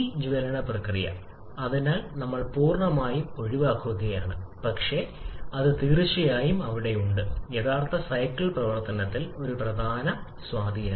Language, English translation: Malayalam, And this combustion process, therefore, we are completely eliminating but that definitely has a significant impact in the actual cycle operation